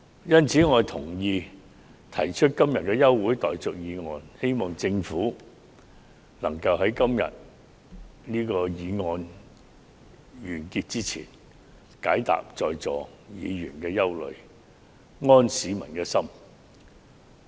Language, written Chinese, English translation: Cantonese, 因此，我同意今天提出的休會待續議案，希望政府能在這項議案完結前，釋除各位在座議員的憂慮，並安市民之心。, I thus agree with this adjournment motion . I hope that before the end of this motion debate the Government can address the concerns of the Members here and restore the peace of mind to the people